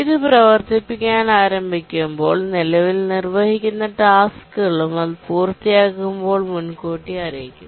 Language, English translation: Malayalam, When it starts to run, preempts the currently executing tasks, and when it completes